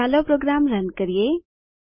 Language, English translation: Gujarati, Lets run the program